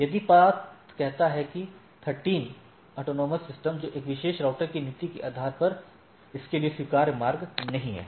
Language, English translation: Hindi, If the path says that AS 13, that is not a feasible path for this or acceptable path based on the policy for this particular router